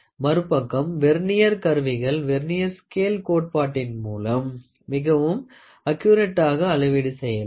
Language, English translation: Tamil, On the other hand, Vernier instruments, based on Vernier scale principle can measure up to a much finer degree of accuracy